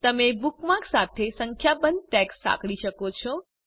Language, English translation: Gujarati, * You can associate a number of tags with a bookmark